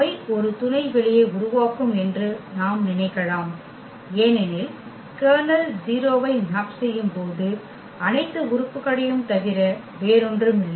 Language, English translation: Tamil, We can think that they will form a subspace because the kernel was nothing but all the elements here which maps to 0